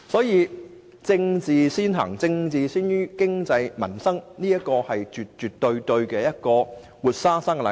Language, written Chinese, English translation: Cantonese, 因此，政治先於經濟民生絕對是一個活生生的例子。, This is absolutely a vivid illustration of politics overriding economic and livelihood concerns